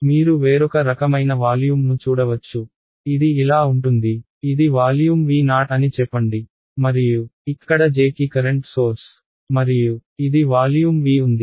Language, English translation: Telugu, You may come across another different kind of volume, which is like this; let us say this is let us say volume V naught and there is a current source over here J and this is volume V ok